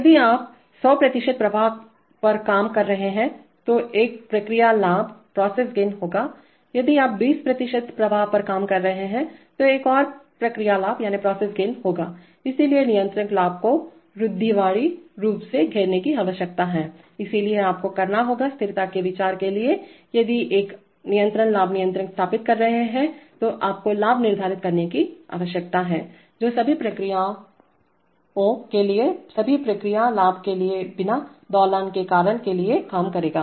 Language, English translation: Hindi, If you are operating at hundred percent flow then there will be one process gain, if you are operating at twenty percent flow there'll be another process gain, so the, so the controller gains needs to beset conservatively, so you will have to, for stability considerations if you are setting a constant gain controller then you need to set the gain, which will work for all the processes without all the process gains without causing oscillation